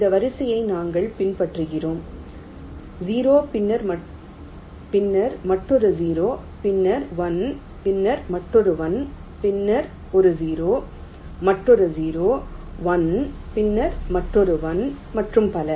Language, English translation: Tamil, we are following this sequence: zero, then another zero, then a one, then another one, then a zero, another zero, one, then another one, and so on